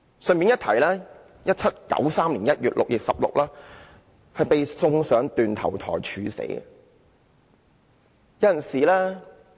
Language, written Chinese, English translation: Cantonese, 順帶一提 ，1793 年1月，路易十六被送上斷頭台處死。, I would like to mention in passing that in January 1793 Louis XVI was sent to the guillotine